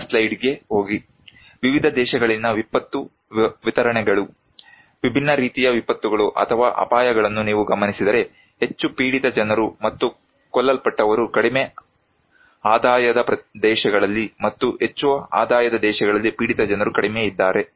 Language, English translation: Kannada, Go to next slide; if you look into the disaster distributions, different kind of disasters or hazards in different countries, the most affected people and killed are in low income countries and the least the high income countries